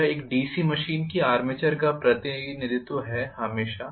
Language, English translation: Hindi, This is the representation of the armature of a DC machine, always